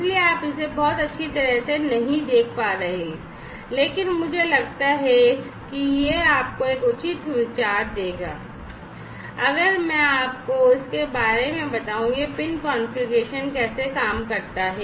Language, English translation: Hindi, So, you not be able to see it very well, but I think this will give you a fair enough idea, if I tell you about how this pin configuration works